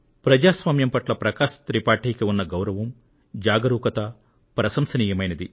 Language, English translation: Telugu, Prakash Tripathi ji's commitment to democracy is praiseworthy